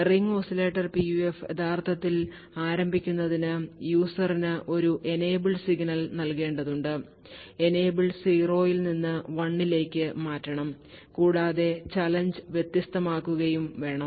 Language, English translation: Malayalam, The ring oscillators PUF is something like this, to actually start the Ring Oscillator PUF the user would have to give an enable signal essentially, essentially change the enable from 0 to 1 and also specify a challenge